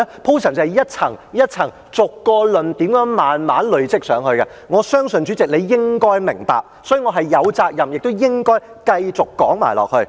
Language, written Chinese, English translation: Cantonese, 便是一層、一層、逐個論點慢慢地累積上去，我相信主席你應該明白，所以，我是有責任亦應該繼續說下去。, That is to build up the arguments layer by layer and to expound on each argument in a gradual manner . I believe the President should understand that . Therefore I am duty - bound to keep on elaborating on my arguments